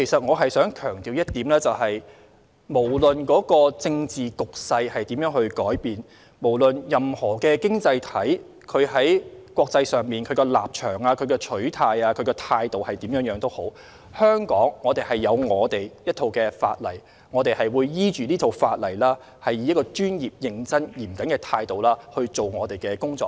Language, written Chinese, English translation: Cantonese, 我想強調一點，無論政治局勢如何改變、無論任何經濟體在國際上的立場、取態或態度為何，香港有自己的一套法例，我們會依據這套法例，以專業、認真和嚴謹的態度來執行我們的工作。, I wish to stress that Hong Kong maintains its own set of laws irrespective of the changing political climate or the international stances positions or attitudes of individual economies . We will conduct our enforcement work on the basis of this set of laws in a professional serious and conscientious manner